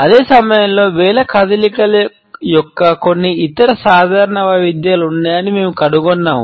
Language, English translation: Telugu, At the same time we find that there are certain other common variations of finger movements